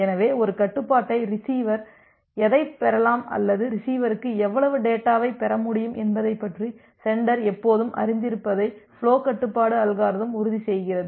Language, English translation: Tamil, So, the flow control algorithm ensures that the sender is always aware about what a receiver can receive or how much data the receiver can receive